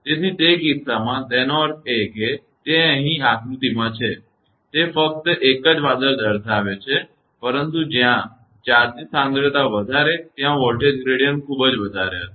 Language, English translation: Gujarati, So, in that case; that means, here it is in the diagram it is showing only one cloud, but wherever charge concentration is high the voltage gradient there it will be very high